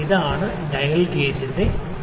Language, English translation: Malayalam, This is the principle of the dial gauge